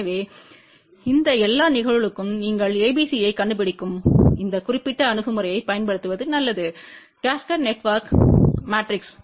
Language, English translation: Tamil, So, for all these cases it is better that you use this particular approach where you find ABCD matrix of the cascaded network